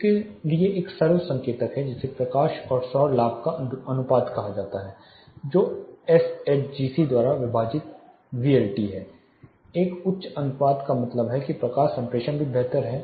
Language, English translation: Hindi, There is a simple indicator for this which is called light to solar gain ratio which is nothing but VLT by SHGC that is the ratio which indicates a higher light to solar gain ratio means the light transmittance is also better